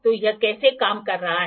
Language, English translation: Hindi, So, how it is working